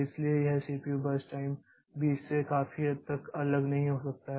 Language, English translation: Hindi, So, this CPU burst time cannot be largely different from 20